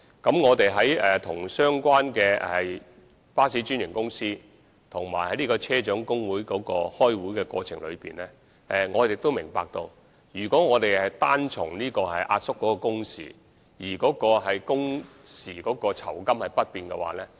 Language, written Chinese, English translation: Cantonese, 在與相關的巴士專營公司和車長工會磋商的過程中，我們明白如果只是壓縮工時而工時的酬金不變，對現有車長的收入確實會有所影響。, In the course of negotiation with the franchised bus companies and staff unions concerned we understand that if we only reduce the working hours but maintain the pay for the hours worked the income of the existing bus captains will definitely be affected